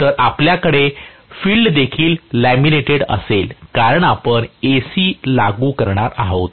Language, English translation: Marathi, So, we will have the field also laminated, because you are applying AC